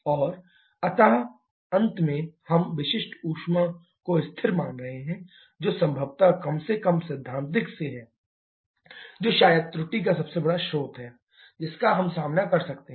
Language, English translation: Hindi, And finally we are assuming the specific heat to be constant that is probably at least from theoretical that is probably the biggest source of error that we can encounter